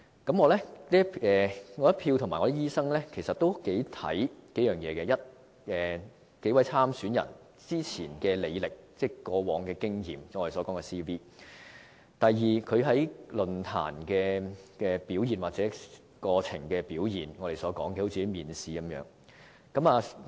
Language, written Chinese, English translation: Cantonese, 我和其他醫生頗為關注數方面：第一，數位參選人之前的履歷、過往的經驗；第二，他們在論壇的表現，我們把這形容為面試。, I and other doctors are concerned about the following aspects first the credentials and past experience of the candidates; and second their performances in election debates and forums which we regard as interviews . As I said before the election manifestos of the candidates only relate what will happen in the future